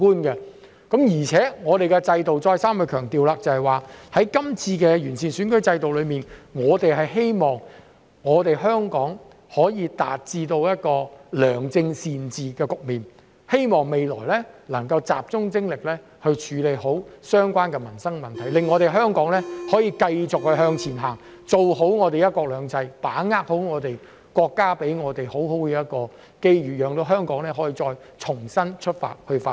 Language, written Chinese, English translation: Cantonese, 而且，我再三強調，透過這次完善選舉制度，我們希望香港可以達到良政善治的局面，未來能夠集中精力處理好相關的民生問題，讓香港可以繼續向前行，做好"一國兩制"的工作，好好把握國家給我們的機遇，讓香港再重新出發去發展。, Moreover I stress over and over again that through the improvement in the electoral system we hope that Hong Kong can achieve good governance and concentrate on dealing with livelihood issues in the future so that Hong Kong can continue to move forward and do a good job in respect of one country two systems and seize the opportunities given to us by our country which will allow Hong Kong to start anew for development